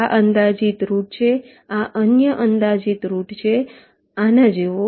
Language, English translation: Gujarati, this is another approximate route like this